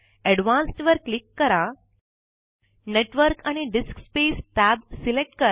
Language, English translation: Marathi, Click on Advanced, select Network and DiskSpace tab and click Settings